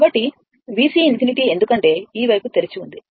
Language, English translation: Telugu, So, V C infinity because this is this side is open